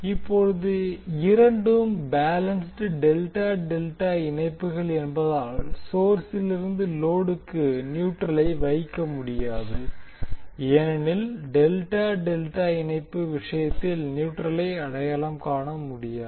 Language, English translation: Tamil, Now since both are balanced delta delta connections we will not be able to put neutral from source to load because we cannot identify neutral in case of delta delta connection